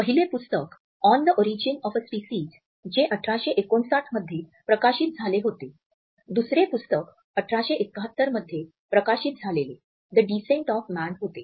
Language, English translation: Marathi, The first book was On the Origin of a Species which was published in 1859, the second book was The Descent of Man which was published in 1871